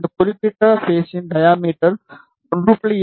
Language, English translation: Tamil, The diameter of this particular conductor is 1